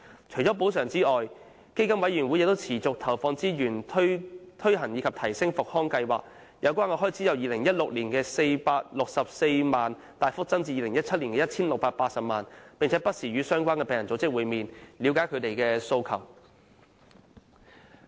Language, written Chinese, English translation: Cantonese, 除補償外，基金委員會亦持續投放資源推行及提升復康計劃，使有關開支由2016年的464萬元大幅增至2017年的 1,680 萬元，並且不時與相關病人組織會面，以了解他們的訴求。, Apart from granting compensation PCFB has also persistently allocated resources for conducting and improving rehabilitation programmes with the expenses incurred increased substantially from 4.64 million in 2016 to 16.8 million in 2017 . PCFB will also meet and discuss with the relevant patient groups from time to time to gauge their demands